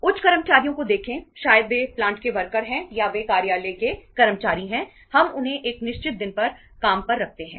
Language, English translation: Hindi, See the higher employees, maybe they are plant workers or they are office employees, we hire them on one particular day